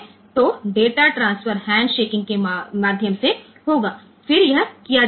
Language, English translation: Hindi, So, the data transfer will take place via handshaking, then this can be done ok